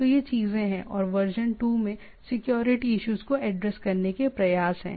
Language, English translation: Hindi, So, these are the things, and in version 2, there is it attempts to version 3 attempts to address the security issues